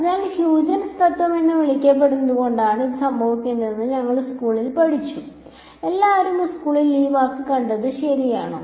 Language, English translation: Malayalam, So, in school we studied that this is happening because of what was called Huygens principle, did everyone come across this word in school right